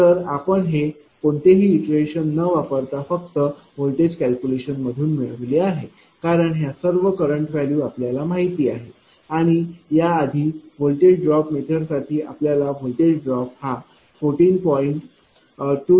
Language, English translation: Marathi, So, this one we got using this your what you call using that your voltage calculation because it is no iteration here because all currents are known to you and earlier for voltage drop method voltage drop how much you have got 14